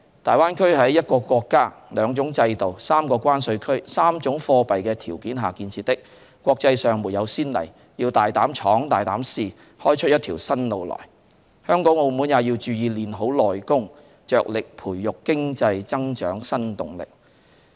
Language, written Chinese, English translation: Cantonese, 大灣區是在一個國家、兩種制度、三個關稅區、三種貨幣的條件下建設，國際上沒有先例，要大膽闖、大膽試，開出一條新路來，香港和澳門也要注意練好"內功"，着力培育經濟增長新動力。, The Greater Bay Area is established under the conditions of one country two systems three customs areas and three currencies . There is no precedent internationally and we have to be bolder in our ventures and attempts with a view to opening up a new pathway . Both Hong Kong and Macao need to pay attention to enhancing our inner capabilities and strive to generate new impetus for economic growth